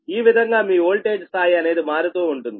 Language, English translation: Telugu, this way your voltage level we will change right